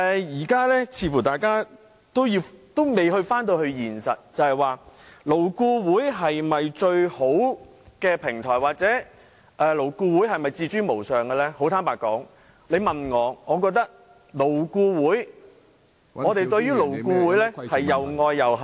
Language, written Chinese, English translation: Cantonese, 現在大家似乎還未考慮到現實問題，究竟勞顧會是否最好的平台或勞顧會是否自高無上，坦白說，於我而言，我對勞顧會又愛又恨......, Members do not seem to grasp the reality . As regards whether LAB is the best platform or whether it assumes a supreme role to be frank I love and hate it at the same time